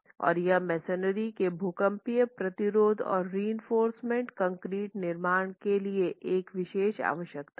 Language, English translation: Hindi, And this is a particular requirement for seismic resistance of masonry and reinforced concrete constructions